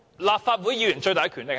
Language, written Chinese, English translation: Cantonese, 立法會議員的最大權力是甚麼？, What is the biggest power vested in Members of the Legislative Council?